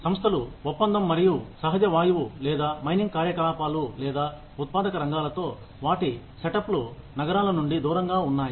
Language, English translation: Telugu, Organizations, that deal with oil and natural gas, or mining activities, or manufacturing sector, where their set ups are away from cities